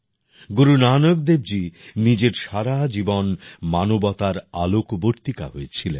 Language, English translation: Bengali, Throughout his life, Guru Nanak Dev Ji spread light for the sake of humanity